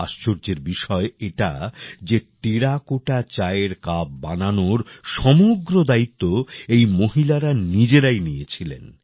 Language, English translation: Bengali, The amazing thing is that these women themselves took up the entire responsibility of making the Terracotta Tea Cups